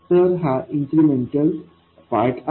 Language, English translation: Marathi, So, this is the incremental part